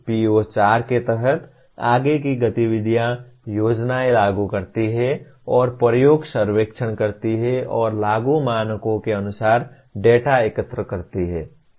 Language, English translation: Hindi, Further activities under PO4, plan and perform experiments, surveys and collect the data in accordance with the applicable standards